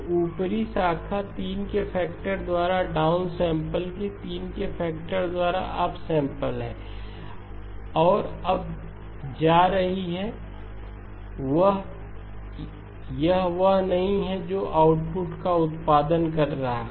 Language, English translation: Hindi, So the upper branch is down sample by a factor of 3, up sample by a factor of 3 and is going to now, that is not going to be the one that is producing the output